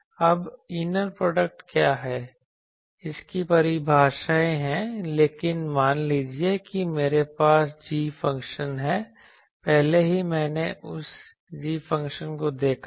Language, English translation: Hindi, Now what is inner product there are definitions, but suppose I have a g function already I have seen that g function I will also have